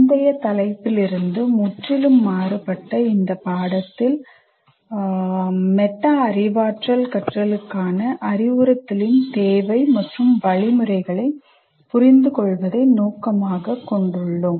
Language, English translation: Tamil, Now in this unit, which is very completely different from the previous topic, we aim at understanding the need for and methods of instruction for metacognitive learning